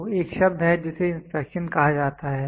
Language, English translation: Hindi, So, there is a word called as inspection